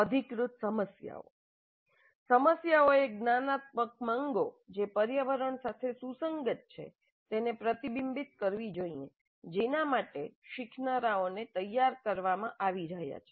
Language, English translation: Gujarati, The problems should reflect the cognitive demands that are consistent with the environment for which the learners are being prepared